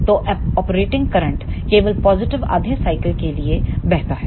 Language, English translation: Hindi, So, the output current flows only for the positive half cycle